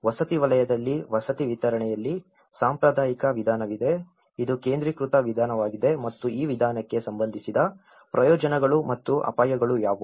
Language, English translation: Kannada, In the housing sector, in the housing delivery, there has been a traditional approach, which is a concentrated approach and what are the benefits and risks associated with this approach